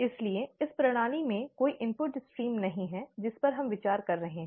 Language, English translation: Hindi, So there is no input stream into the system that we are considering